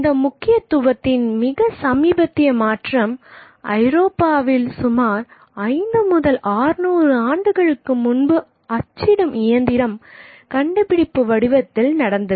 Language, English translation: Tamil, The most recent shift of this significance that had taken place took place in Europe about 5 to 600 years ago in the form of the discovery of the printing machine